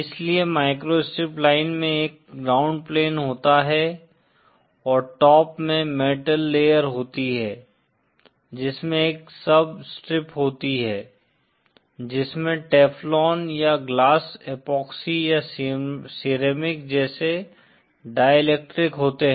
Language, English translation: Hindi, So the microstrip line consist of a ground plane with a top layer metal with a sub strip comprising of some Dielectric like Teflon or glass epoxy or ceramic in between